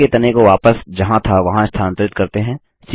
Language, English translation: Hindi, Lets move the tree trunk back to where it was